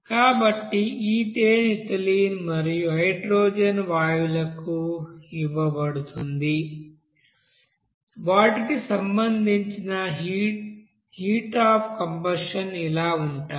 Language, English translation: Telugu, So ethane is given to ethylene and hydrogen gas and their respective heat of combustions are given like this